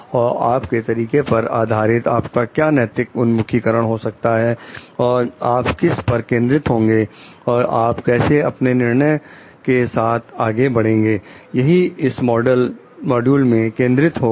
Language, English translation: Hindi, And based on your styles, what could be your ethical orientations, and what you focus on, and how you move forward with your decision will be the focus of this module